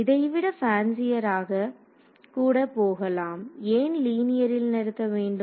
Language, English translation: Tamil, You can even go fancier than this, why stop at linear you can also